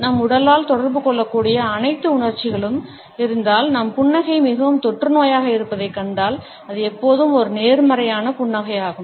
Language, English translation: Tamil, If all emotions which can be communicated by our body, we find that our smile is the most contagious one, it almost always is a positive smile